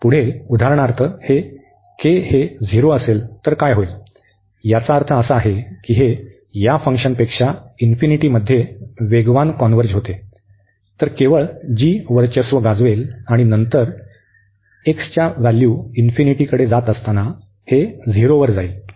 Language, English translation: Marathi, Further, what will happen if this k is 0 for example; k is 0 means that this is converging faster to infinity than this one than this function, then only this will dominate here the g will dominate and then x goes to infinity this will go to 0